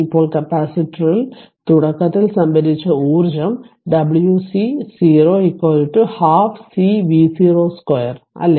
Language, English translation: Malayalam, Now, stored energy in the capacitor initially that w c 0 is equal to half C V 0 square right just hold on